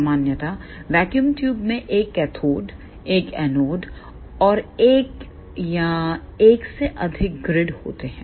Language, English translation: Hindi, Generally speaking vacuum tubes contains one cathode, one anode and one or more than one grids